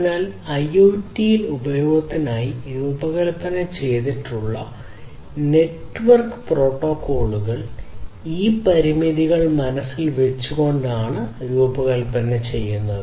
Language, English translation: Malayalam, So, network protocols that are designed for use in IoT should be designed accordingly keeping these constraints in mind